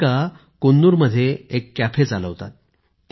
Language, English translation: Marathi, Radhika runs a cafe in Coonoor